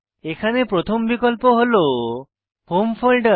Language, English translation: Bengali, The first option here is the Home folder